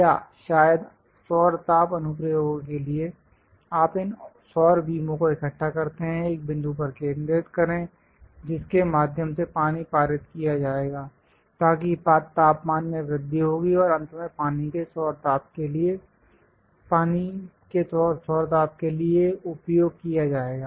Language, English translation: Hindi, Or perhaps for solar heating applications, you collect these solar beams; focus on one point through which water will be passed, so that temperature will be increased and finally utilized for solar heating of water